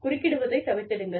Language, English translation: Tamil, Refrain from interrupting